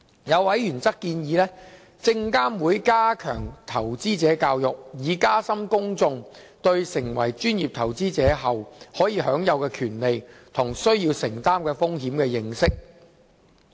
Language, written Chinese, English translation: Cantonese, 有委員則建議證監會加強投資者教育，以加深公眾對成為專業投資者後可享有的權利及需要承擔的風險的認識。, A member suggests SFC step up investor education to deepen the publics understanding of the rights and risks of becoming a professional investor